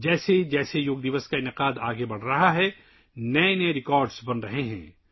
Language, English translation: Urdu, As the observance of Yoga Day is progressing, even new records are being made